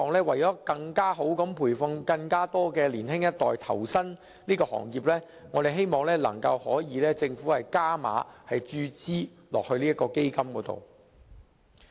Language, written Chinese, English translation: Cantonese, 為更好地培訓更多年輕一代投身這行業，我們希望政府能夠加碼注資到這個基金。, For the purpose of providing better training to more young people and inducing them to join this industry we hope the Government can increase its funding injection into this fund